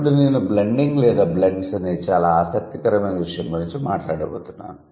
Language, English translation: Telugu, Then I am going to talk about a very interesting phenomenon called blending or blends